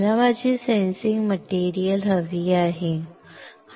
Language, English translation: Marathi, I want to have my sensing material, correct